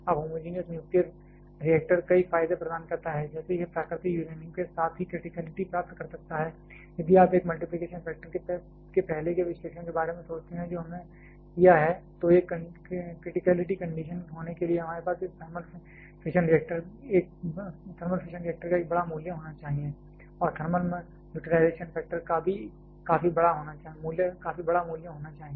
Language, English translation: Hindi, Now homogenous nuclear reactor offers a several advantages like, it can attain criticality with a natural uranium itself, if you think about the earlier analysis of a multiplication factor that we have done, to have a criticality condition we need to have a large value of this thermal fission factor and also significantly large value of the thermal utilization factor